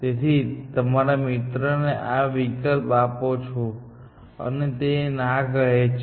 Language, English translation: Gujarati, So, you present this option to your friend, and he or she says, no